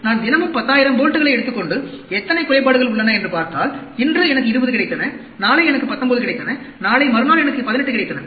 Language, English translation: Tamil, So, if I take 10,000 bolts everyday, and see how many defects are there, today I got 20, tomorrow I got 19, day after tomorrow I got 18